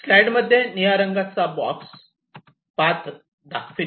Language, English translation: Marathi, this blue box indicates the path